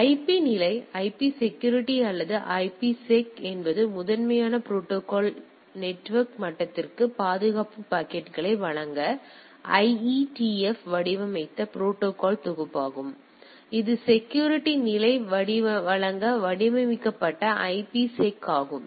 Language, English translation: Tamil, So, IP level the IP security or IPSec is the predominant protocol is a collection of protocol designed by the IETF to provide security packets to the network level; so, this is IPSec designed to provide security level